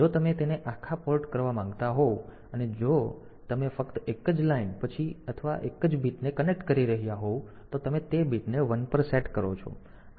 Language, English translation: Gujarati, If you want to do it for the entire port and if you are connecting only a single line then or a single bit, then you set that bit to 1